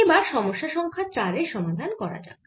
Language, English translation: Bengali, lets solve question number four